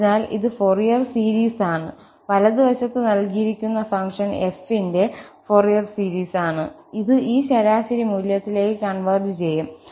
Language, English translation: Malayalam, So, this is the Fourier series, the right hand side is the Fourier series of the given function f and it will converge to this average value